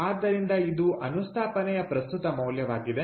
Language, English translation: Kannada, so this is the present value of the installation